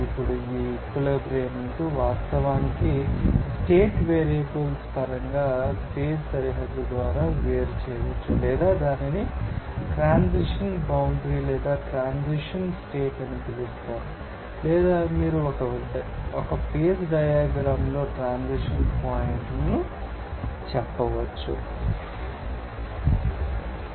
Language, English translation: Telugu, Now, this equilibrium can be actually you know, differentiated in terms of you know state variables by you know phase boundary or it is called that transition you know boundary or transition condition or you can say transition points on a phase diagram